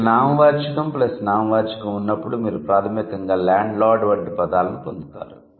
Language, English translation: Telugu, So, when you have noun plus noun, you can, you would basically get words like landlord